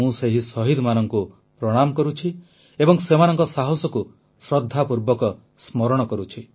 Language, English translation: Odia, I bow to those martyrs and remember their courage with reverence